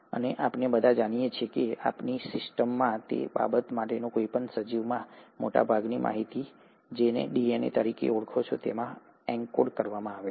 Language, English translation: Gujarati, And we all know, and that in our system, any organism for that matter, most of the information is encoded into what you call as the DNA, as of today